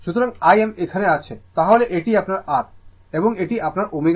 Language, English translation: Bengali, So, I m is here, then this is your R, and this is your omega L